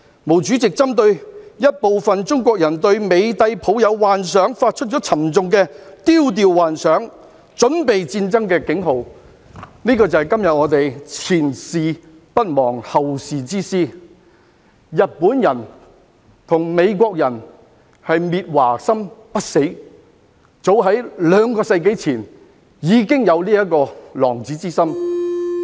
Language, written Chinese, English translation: Cantonese, 毛主席針對一部分中國人對美帝抱有幻想而發出沉重的"丟掉幻想，準備戰爭"的警號，這便是我們今天"前事不忘，後事之師"，日本人和美國人的滅華心不死，早於兩個世紀前已經有此狼子之心。, Targetting some Chinese people who had illusions about the American Empire Chairman MAO issued this dire warning Cast away illusions Prepare for struggle . This echoes our message today that past experience if not forgotten is a guide for the future . The Japanese and the Americans never give up their wish to destroy China